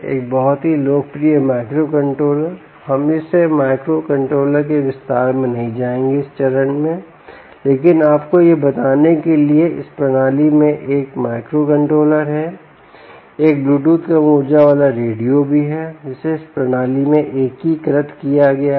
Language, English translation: Hindi, we will not get into the detail of this microcontroller at this stage, but just to tell you that this system has a microcontroller and also has a bluetooth low energy radio which is integrated into the system